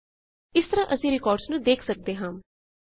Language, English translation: Punjabi, This way we can traverse the records